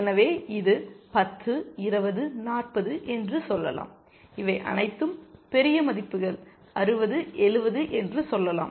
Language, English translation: Tamil, So, let us say, this is 10, 20, 40, and let us say all these are bigger values 60, 70